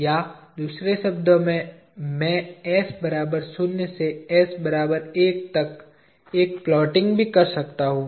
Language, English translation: Hindi, Or in other words I can also do a plotting, starting from s equal to zero to s equal to one